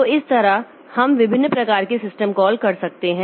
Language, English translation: Hindi, So like that we can have different types of system calls